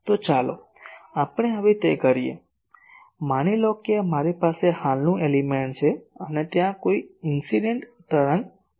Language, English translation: Gujarati, So, let us do it now so, fine suppose I have a current element and, there is a incident wave coming